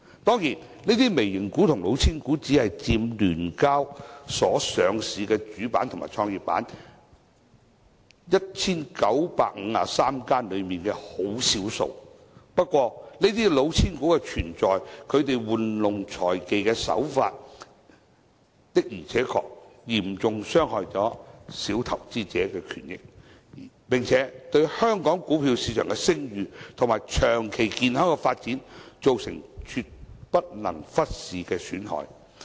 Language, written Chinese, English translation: Cantonese, 當然，這些"微型股"和"老千股"只佔聯交所 1,953 間上市的主板和創業板公司的少數，不過，這些"老千股"的存在，其玩弄財技的手法，的而且確嚴重傷害小投資者的權益，並且對香港股票市場的聲譽和長遠健康發展造成絕不能忽視的損害。, In brief this investor has almost lost all his money . Of course these micro caps and cheating shares only take up a small minority among the 1 953 companies listed on the Main Board and the Growth Enterprise Market of the SEHK . However the existence of these cheating shares and financial shenanigans of these companies will indeed seriously harm the rights and interests of minor investors and will cause damage that cannot be ignored to the reputation and long - term healthy development of the Hong Kong stock market